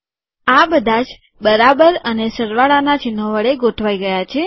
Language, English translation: Gujarati, All these equal signs and plus signs are aligned now